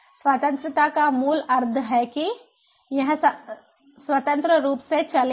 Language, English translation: Hindi, independence basically means that it runs independent